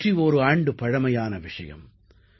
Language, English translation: Tamil, It is a tale of 101 years ago